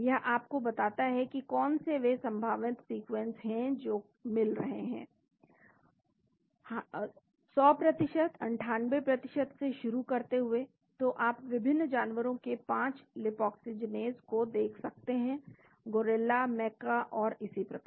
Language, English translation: Hindi, Tells you what are the various protein sequences which match starting 100%, 98% you can see 5 lipoxygenase from different animals gorilla, macca and so on